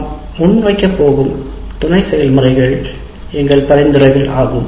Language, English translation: Tamil, The sub processes we are going to present are our suggestions